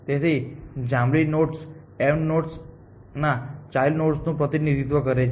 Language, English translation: Gujarati, So, these purple nodes represent children of m essentially